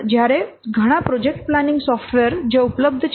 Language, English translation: Gujarati, While yes, there are so many work project planning software are available